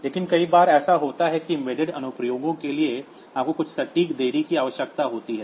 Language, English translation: Hindi, But many times what happens is that for embedded applications you need some precise delay